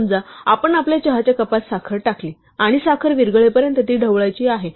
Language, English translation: Marathi, Suppose, we put sugar in our tea cup and we want to stir it till the sugar dissolves